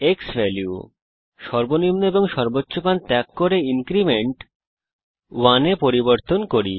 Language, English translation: Bengali, We will leave the minimum and maximum default value and change the increment to 1